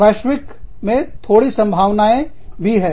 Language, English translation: Hindi, In global, it is little bit of scope